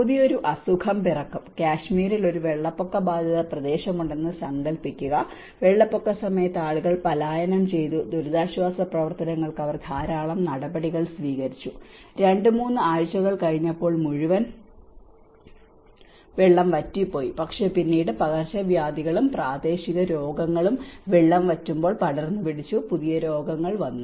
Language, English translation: Malayalam, A new diseases will be born, imagine there is a flood affected area in Kashmir, what happened was during the floods, people were migrated, and they have taken a lot of measures in the relief operations but after two, three weeks when the whole water get drained up, then the new set of diseases came when because of the epidemic and endemic diseases spread out when the water drained up